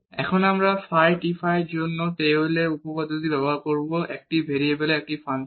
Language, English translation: Bengali, Now, we will use the Taylor’s theorem for phi t phi is a function of one variable